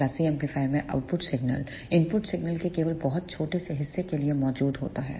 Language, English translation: Hindi, In class C amplifier the output current is present for only very small portion of the input signal